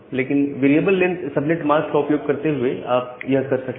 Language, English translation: Hindi, But, using variable length subnet mask, you can do that